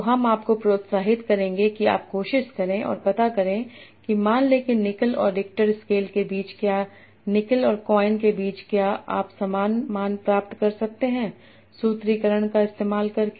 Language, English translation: Hindi, So I will increase that you will try and find out that say suppose between nickel and richel scale or between nickel and coin can you obtain the same value by applying the formulas